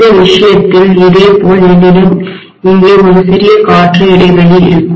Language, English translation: Tamil, In this case similarly I will have a small air gap here